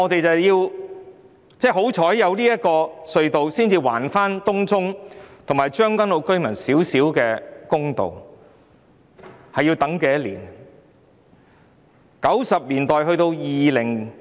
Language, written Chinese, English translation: Cantonese, 幸好有這兩條隧道，才能還東涌及將軍澳居民少許公道，但他們已等候多久呢？, Luckily the construction of these two tunnels can return a little bit of justice to Tung Chung and Tseung Kwan O residents . But how long have they waited?